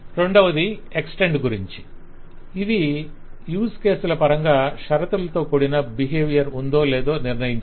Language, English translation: Telugu, Second is the situation of extend, which is deciding that in terms of a use case, whether we have conditional behavior